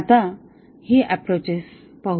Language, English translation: Marathi, Now, let us look at these approaches